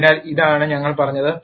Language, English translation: Malayalam, So, this is what we have said